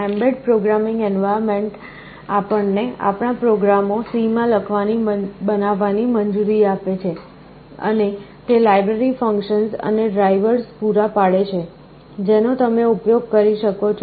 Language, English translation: Gujarati, The mbed programming environment allows us to develop our applications in C, and it provides with a host of library functions and drivers, which you can use